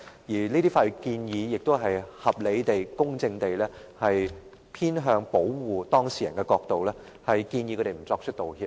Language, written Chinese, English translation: Cantonese, 而這些法律建議亦是從合理地、公正地偏向保護當事人的角度，建議他們不作出道歉。, And such legal advice is made reasonably and fairly from the perspective of protecting the clients